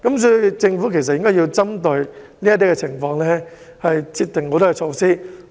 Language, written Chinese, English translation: Cantonese, 所以，政府應該針對這些情況制訂及實行措施。, Therefore the Government should formulate and implement measures to address such a situation